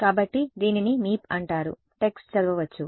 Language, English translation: Telugu, So it is called Meep the text is readable yeah ok